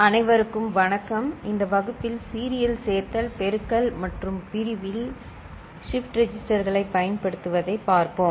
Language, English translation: Tamil, Hello everybody, in this class we shall look at use of shift registers in Serial Addition, Multiplication and Division ok; that means, in arithmetic circuit building